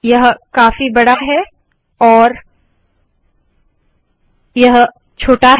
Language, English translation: Hindi, This is a lot bigger and this is smaller